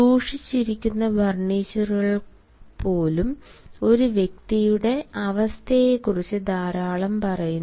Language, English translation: Malayalam, even the furniture kept also tells a lot about the status of a person